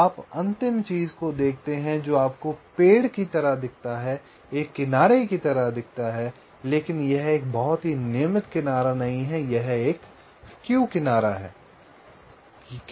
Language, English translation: Hindi, so you see the final thing that you get looks like a tree, looks like an edge, but it is not a very regular edge, a skewed edge